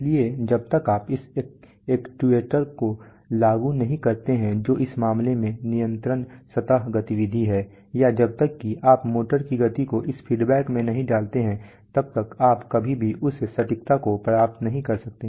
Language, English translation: Hindi, So unless you implement this actuator which is the control surface activity in this case, unless this or let us say the speed of a motor, unless you put these in a feedback you can never achieve that precision